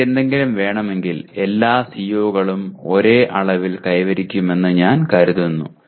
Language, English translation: Malayalam, For want of anything else I take that all COs are attained to the same extent